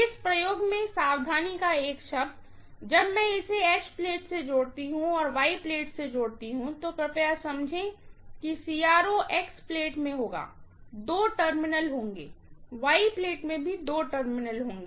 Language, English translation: Hindi, One word of caution in this experiment, when I connect this to H plate, and connect this to Y plate, please understand that the CRO will have in X plate, there will be two terminals, in Y plate also there will be two terminals